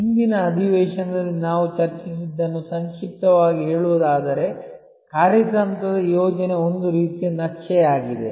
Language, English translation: Kannada, To summarize what we discussed in the previous session, a strategic plan is a sort of a map